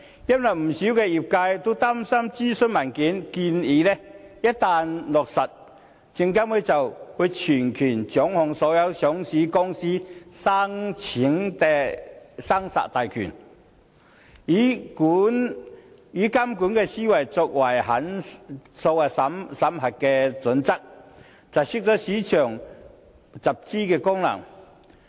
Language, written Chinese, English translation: Cantonese, 因為不少業界都擔心諮詢文件的建議一旦落實，證監會將全權掌控所有上市公司申請的生殺大權，以監管思維作為審核準則，窒礙市場集資功能。, Many in the industry are worried that if the recommendations in the consultation paper are implemented SFC will have total say in vetting and approving all listing applications and its approval criteria will be based on a regulators mindset thus thwarting the capital - raising function of the market